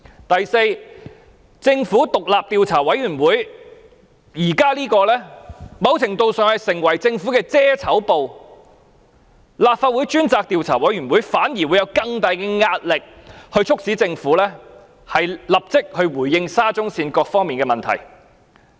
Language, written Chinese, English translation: Cantonese, 第四，政府現在的獨立調查委員會某程度上只是政府的"遮醜布"，由立法會專責委員會進行調查反而會施加更大壓力，促使政府立即回應沙中線各方面的問題。, Fourth the Commission is to a certain extent no more than a fig leave for the Government whereas an investigation by a select committee of the Legislative Council can exert greater pressure on the Government urging it to immediately respond to the various problems concerning SCL